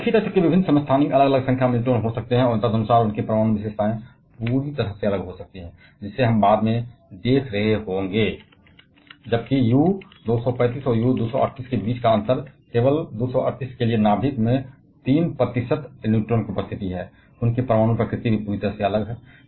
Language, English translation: Hindi, So, different isotopes of the same element, can have different number of neutrons, and accordingly their nuclear characteristics can be completely different; like, we shall be seeing later on, while the difference between U 235 and U 238 is only the presence of 3 extra neutrons in the nucleus for U 238; their nuclear nature is completely different